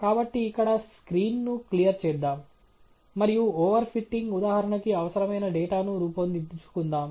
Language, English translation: Telugu, So, let’s clear the screen here, and generate the data required for the over fitting example